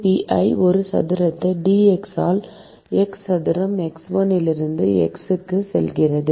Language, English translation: Tamil, k pi a square into dx by x square going from x1 to x